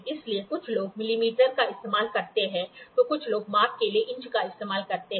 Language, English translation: Hindi, So, people some people use millimeter, some people use inches for measurement